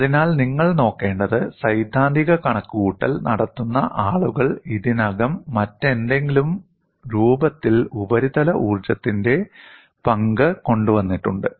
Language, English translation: Malayalam, So, what you will have to look at is, people who are making theoretical calculation have already brought in, the role of surface energy in some other form